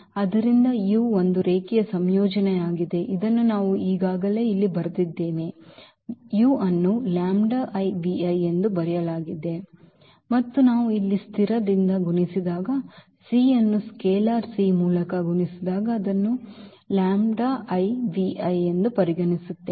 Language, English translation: Kannada, So, this u is a linear combination so, which we have already written here u is written as the lambda i v i and when we multiply by a constant here c by a scalar c then what will happen the c lambda into; into v i